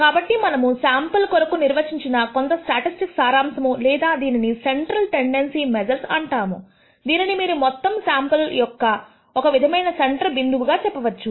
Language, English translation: Telugu, So, some of the summary statistics that we can define for a sample or what we call measures of central tendency, it is the kind of the center point of this entire sample you might say